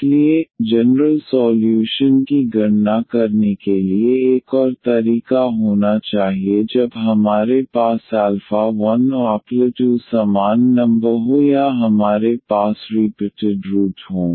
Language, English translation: Hindi, So, there should be another way to compute the general solution when we have alpha 1 and alpha 2 the same number or we have the repeated roots